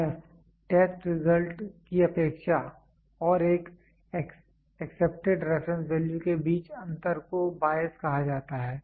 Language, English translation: Hindi, Bias: the difference between the expectation of the test result and an accepted reference value is called as bias